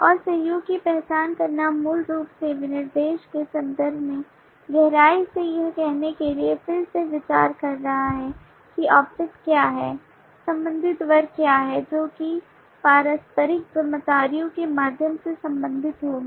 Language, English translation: Hindi, and identifying collaborations is basically again minding through deeper in terms of the specification to say that what are the objects, what are the corresponding classes that would be related through there mutual responsibilities